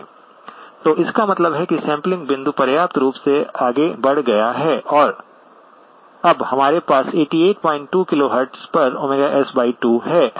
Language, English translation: Hindi, So that means the sampling point has moved sufficiently far and we now have the omega S by 2 at 88 point 2 KHz